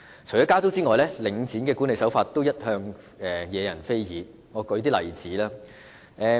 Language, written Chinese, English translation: Cantonese, 除了加租外，領展的管理手法一向惹人非議，讓我列舉一些例子。, Apart from its rent increases the management practice of Link REIT has also been criticized . Let me cite some examples